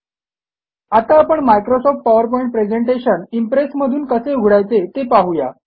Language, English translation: Marathi, Next, we will see how to open a Microsoft PowerPoint Presentation in LibreOffice Impress